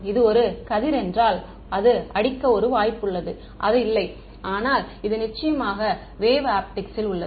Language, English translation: Tamil, If it were a ray then there is a chance it hit or not, but this is in the wave optics reigning for sure